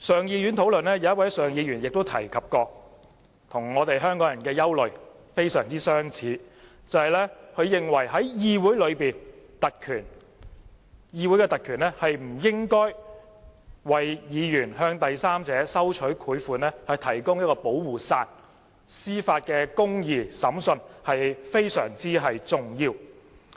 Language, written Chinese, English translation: Cantonese, 有一位上議院議員提到，他與香港人的憂慮非常相似，他認為在議會內，議會的特權不應該為議員向第三者收取賄款提供保護傘，司法機構作出公義的審訊非常重要。, A Member of the Lords expressed a concern similar to that of Hong Kong peoples . The Member considered that parliamentary privilege should not become the shield for Members acceptance of bribes and it is extremely important that the judiciary can conduct trials for the sake of justice